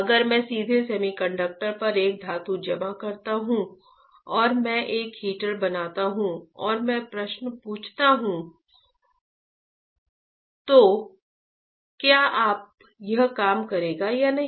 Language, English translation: Hindi, If I directly deposit a metal on a semiconductor right and I fabricate a heater and I ask a question, will it work properly or not